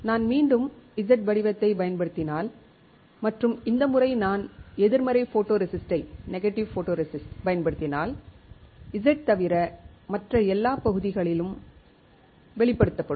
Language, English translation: Tamil, If I use Z pattern again and this time if I use negative photoresist on it, then I would have every other area except Z exposed